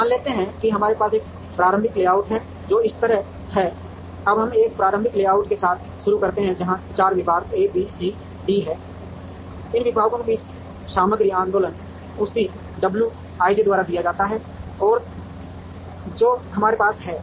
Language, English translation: Hindi, Now, let us assume that we have an initial layout which is like this, now let us begin with an initial layout, where there are 4 departments A B C D, the material movement among these departments is given by the same w i j that we have